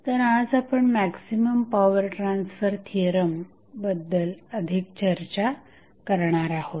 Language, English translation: Marathi, So, now, today we will discuss about the maximum power transfer theorem